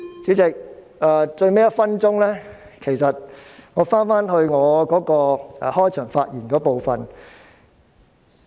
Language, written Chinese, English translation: Cantonese, 主席，到了發言的最後1分鐘，我回到開場發言的部分。, Chairman having come to the last one minute of my speaking time I will return to what I said in my opening remarks